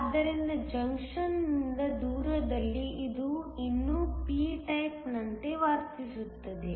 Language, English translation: Kannada, So, far away from the junction it still behaves like a p type